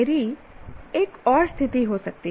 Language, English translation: Hindi, I can have another situation